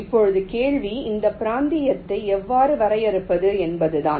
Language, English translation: Tamil, now the question is how to define this regions like